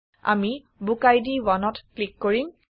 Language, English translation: Assamese, We will now click on BookId 1